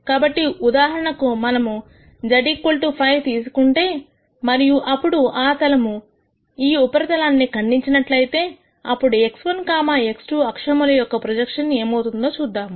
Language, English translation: Telugu, So, for example, we could take z equal to 5 and then have that plane cut this surface then let us see what the projection of that in x 1, x 2 axis will be